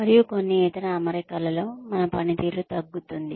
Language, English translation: Telugu, And, in certain other setting, our performance tends to go down